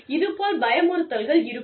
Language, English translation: Tamil, Then, there is intimidation